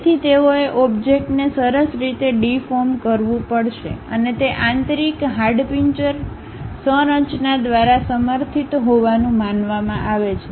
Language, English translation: Gujarati, So, they have to deform the object in a nice way and that supposed to be supported by the internal skeleton structure